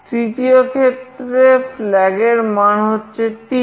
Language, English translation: Bengali, In the third case, the flag is 3